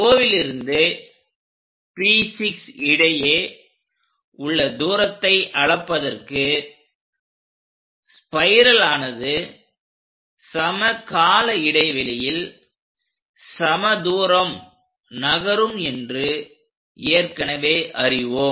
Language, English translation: Tamil, Then measure O to P6 distance for a spiral we already know it moves equal distances in equal intervals of time